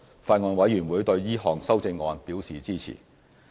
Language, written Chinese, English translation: Cantonese, 法案委員會對這項修正案表示支持。, The Bills Committee supports the proposed amendment